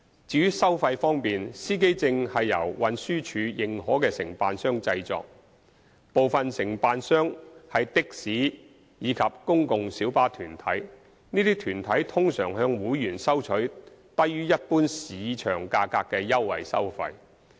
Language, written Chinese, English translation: Cantonese, 至於收費方面，司機證是由運輸署認可的承辦商製作。部分承辦商是的士及公共小巴團體，這些團體通常向會員收取低於一般市場價格的優惠收費。, As for the fees charged for driver identity plates which are produced by TDs authorized agents some of the agents are taxi and PLB associations and they usually charge their members concessionary fees which are lower than the general market price